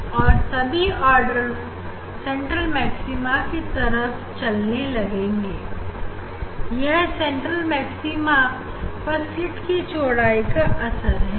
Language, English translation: Hindi, all order is moving towards the central maxima, you see the central maxima that is the effect of the width of the slit